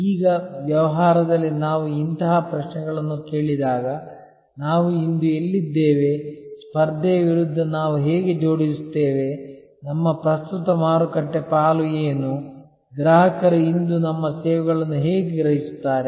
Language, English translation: Kannada, Now, whenever in a business we ask such questions, like where are we today, how do we stack up against the competition, what is our current market share, how do customers perceive our services today